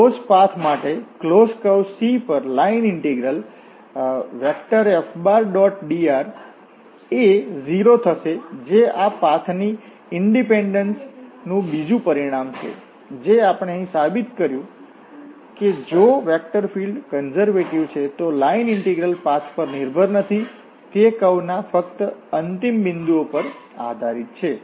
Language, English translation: Gujarati, So, for the closed path, the same integral the line integral from over a closed path C F dot dr will become 0 that is another consequence of this path independence, which we have proved here that if a vector field is a conservative vector field, then the integral, this line integral does not depend on the path, it depends on the only the end points of the curve